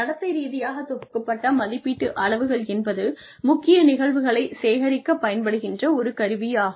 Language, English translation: Tamil, Behaviorally anchored rating scales are a tool, that is used to generate critical incidents